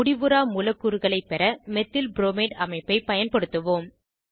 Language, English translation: Tamil, Lets use the Methylbromide structure to obtain free radicals